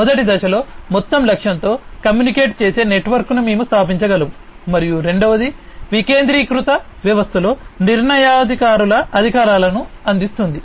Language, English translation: Telugu, In the first step, we can establish a network which communicates with the overall target, and in the second, providing authority to decision makers in a decentralized system